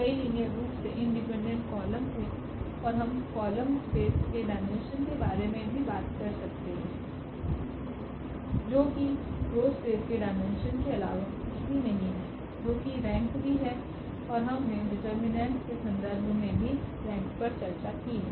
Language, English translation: Hindi, There was a number of linearly independent columns, and we can also talk about the dimension of the column space that is nothing but the rank dimension of the row space that also is the rank and we have also discussed the rank in terms of the determinants